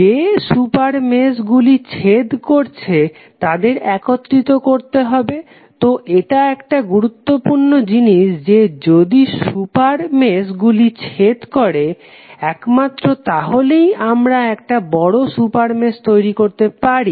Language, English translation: Bengali, We have to combine the super meshes who are intersecting, so this is important thing that if two super meshes are intersecting then only we can create a larger super mesh